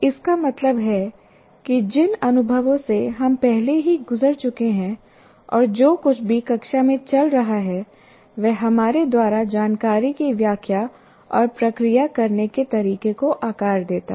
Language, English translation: Hindi, That means these experiences through which we have gone through already and whatever there is going on in the classroom, they shape the way we interpret and process information